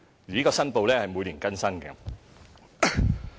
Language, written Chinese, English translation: Cantonese, 有關的申報須每年更新。, Such declarations will be updated annually